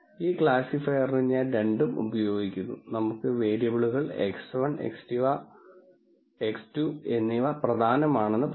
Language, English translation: Malayalam, Then for this classifier, I am using both let us say variables x 1 and x 2 as being important